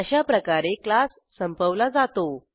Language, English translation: Marathi, This is how we close the class